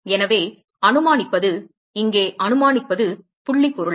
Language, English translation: Tamil, So supposing, supposing here is point object